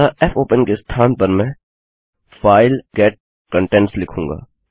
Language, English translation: Hindi, So, instead of fopen Ill say, file get contents